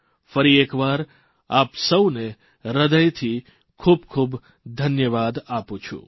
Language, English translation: Gujarati, Once again, I thank all of you from the core of my heart